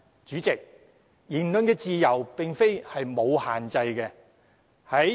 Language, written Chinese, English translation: Cantonese, 主席，言論自由並非沒有限制的。, President the freedom of speech is not limitless